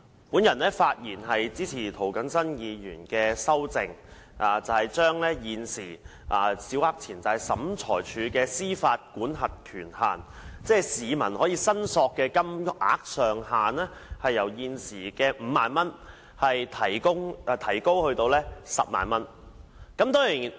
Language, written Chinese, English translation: Cantonese, 主席，我發言支持涂謹申議員提出的修訂，把現時小額錢債審裁處的民事司法管轄權限，即市民可以申索的金額上限，由現時的5萬元提高至10萬元。, President I speak in support of the amendments proposed by Mr James TO to increase the existing civil jurisdictional limit of the Small Claims Tribunal SCT that is the maximum amount that members of the public can claim from the existing 50,000 to 100,000